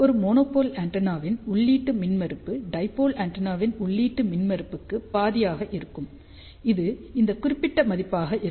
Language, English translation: Tamil, Input impedance of a monopole antenna will be half of the input impedance of dipole antenna, which comes out to be this particular value